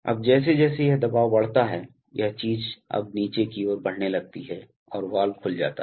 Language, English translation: Hindi, Now as this pressure increases, this thing now starts moving downward and the valve opens